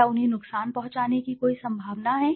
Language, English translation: Hindi, Is there any potential for them to be harmed